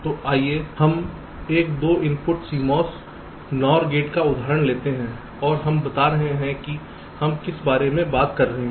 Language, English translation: Hindi, so lets take the example of a two input cmos nor gate and lets illustrate what we are talking about